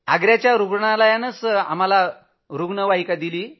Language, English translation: Marathi, The Agra Doctors provided us with two ambulances